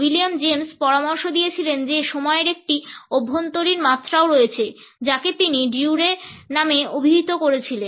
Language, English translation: Bengali, William James suggested that there is also an internal dimension of time which he called as ‘duree’